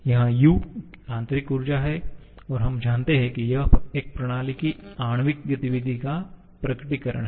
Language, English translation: Hindi, Here U is the internal energy and we know that this is the manifestation of the molecular activity of a system